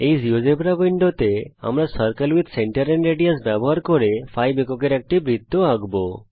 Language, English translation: Bengali, In this geogebra window now we will draw a circle of radius 5 units using the circle with centre and radius